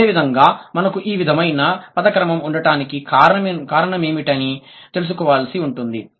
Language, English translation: Telugu, Similarly, what could have been the possible reason why we have the word orders like this